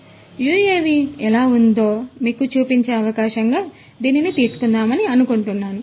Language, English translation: Telugu, So, I thought that let me take it as an opportunity to show you a UAV how it looks like